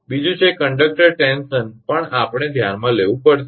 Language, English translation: Gujarati, Second is conductor tension also we have to consider